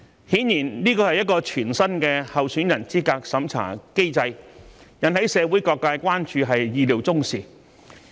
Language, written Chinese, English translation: Cantonese, 顯然，這是全新的候選人資格審查機制，引起社會各界關注是意料中事。, Clearly it is expected that this brand new candidate eligibility review mechanism will arouse widespread concerns in society